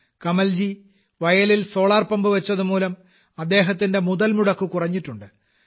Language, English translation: Malayalam, Kamal ji installed a solar pump in the field, due to which his expenses have come down